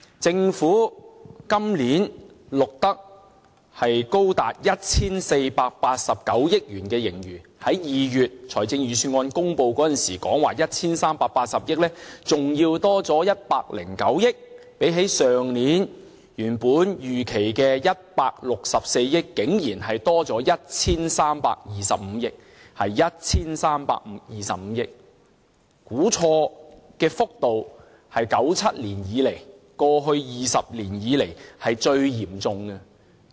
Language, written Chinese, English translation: Cantonese, 政府今年錄得高達 1,489 億元盈餘，較2月公布預算案時說的 1,380 億元還要多109億元；相比去年原本預期的164億元竟然多了 1,325 億元，是 1,325 億元，估錯的幅度是1997年以來，過去20年以來最嚴重的。, This year the Government recorded a surplus as high as 148.9 billion which is 10.9 billion more than the 138 billion as announced in the budget in this February; when compared with last years estimated surplus of 16.4 billion we actually have earned 132.5 billion more it is 132.5 billion thus the wrongly estimated extent is the most severe in the past 20 years since 1997